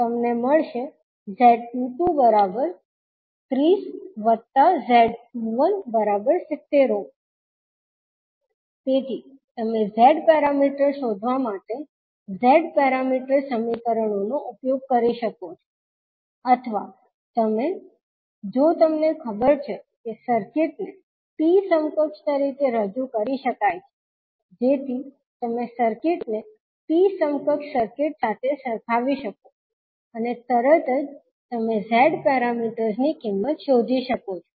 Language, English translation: Gujarati, So, you can use either the Z parameter equations to find out the Z parameters, or you, if you know that the circuit is, a circuit can be represented as a T equivalent, so you can compare the circuit with T equivalent circuit and straight away you can find out the value of Z parameters